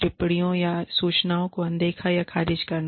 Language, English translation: Hindi, Ignoring or dismissing comments or inputs